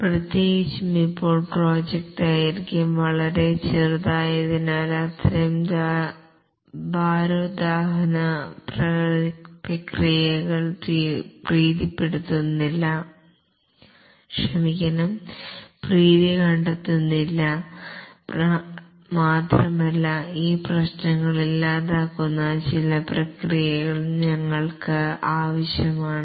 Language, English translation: Malayalam, And specifically now that the project durations are very short, such heavyweight processes are not finding favor and we need some processes which do away with these problems